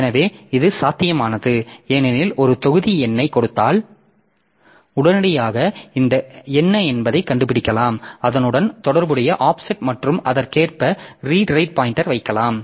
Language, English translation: Tamil, So, this is possible because given a block number we can immediately figure out what is the corresponding offset and we can put our read write pointer accordingly